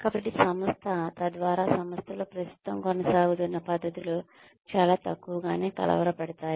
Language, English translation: Telugu, So, that the organization, so that the current ongoing practices in the organization, are disturbed to a minimum